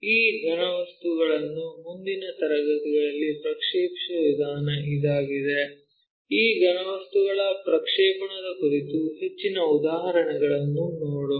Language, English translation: Kannada, This is the way we project these solids in the next class we will look at more examples on this projection of solids